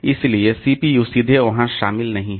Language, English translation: Hindi, So, CPU is not directly involved there